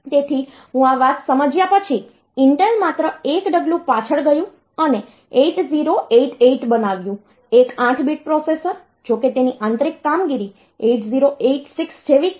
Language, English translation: Gujarati, So, after I understanding this thing for Intel did is that they just went to one step back and make 8088, one 8 bit processor though its internal operation is exactly similar as 8086